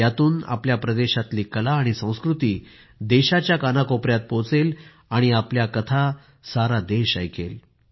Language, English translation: Marathi, Through this the art and culture of your area will also reach every nook and corner of the country, your stories will be heard by the whole country